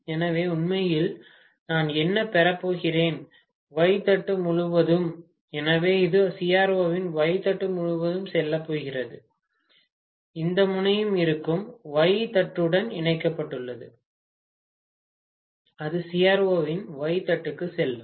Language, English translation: Tamil, So, what actually I am going to get across the Y plate, so this is going to go across the Y plate of CRO, this terminal will be connected to Y plate, that will go to the Y plate of CRO